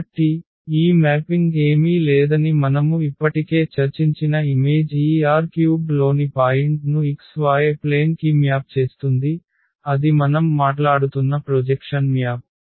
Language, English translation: Telugu, So, the image as we discussed already that this mapping is nothing but it maps the point in this R 3 to the to the x y plane and that that is exactly the projection map we are talking about